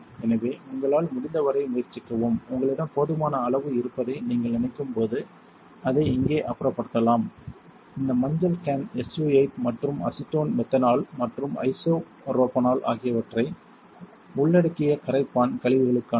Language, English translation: Tamil, So, try it as much as you can and when you think you have enough you can dispose of it over here, this yellow can is meant for SU 8 and solvent wastes which includes acetone methanol and isopropanol put it right in and keep going